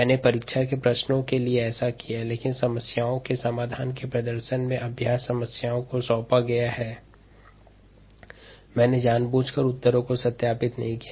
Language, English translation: Hindi, i have done that for the exam questions and so on, but during the ah, in a demonstration of the solutions of the problems, the practice problems that are assigned, i have deliberately not verified my answers